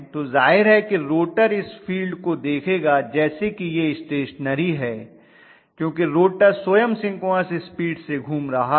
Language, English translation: Hindi, So obviously the rotor will look at that field as though it is stationary because the rotor itself is rotating at synchronous speed